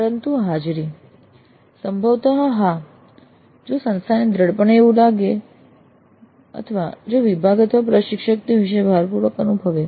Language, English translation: Gujarati, But attendance probably yes if the institute strongly feels or if the department or the instructor strongly feel about it